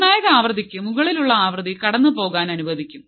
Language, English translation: Malayalam, Frequency which is above my critical frequency is allowed to pass